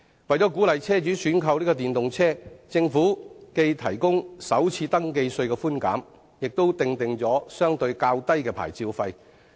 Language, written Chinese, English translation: Cantonese, 為鼓勵車主選購電動車，政府既提供首次登記稅寬減，亦訂定了相對較低的牌照費。, To encourage car owners to purchase EVs the Government offers FRT concessions and lower vehicle licence fees for EVs